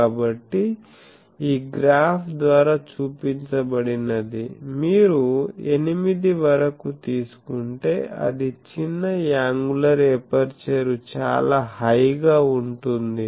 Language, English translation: Telugu, So, that is shown by this graph that up to 8 if you take then it is very ready very small angular aperture it goes to high